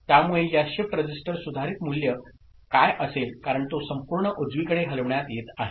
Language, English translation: Marathi, So, what will be the modified values of this shift register because it is getting shifted as whole to the right